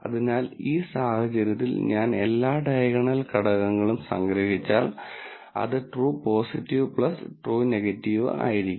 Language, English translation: Malayalam, So, in this case, if I sum up all the diagonal elements, which will be true positive plus true negatives